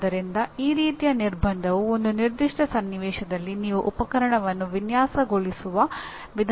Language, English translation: Kannada, So this kind of constraint will actually translate into the way you would design a piece of equipment in a given situation